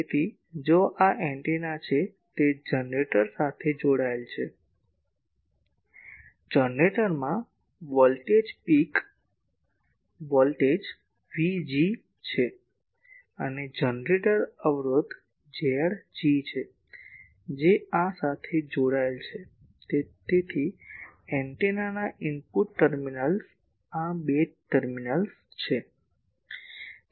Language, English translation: Gujarati, So, if this is an antenna it is connected to a generator, the generator is having a voltage peak voltage V G and, generator impedance is Z g that is connected to these so these two terminals of the input terminals of the antenna